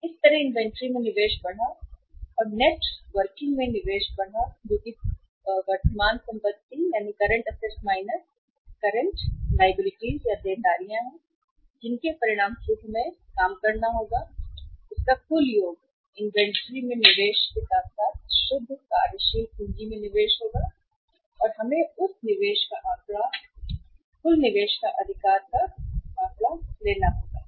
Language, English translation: Hindi, So that way increased investment in the inventory plus increased investment in the net working capital that is current assets minus current liabilities we will have to work out and as a result of that total of this, investment in the inventory plus investment in the net working capital will give us the figure of the investment in the that is the figure of total investment right